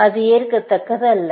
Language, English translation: Tamil, That is not acceptable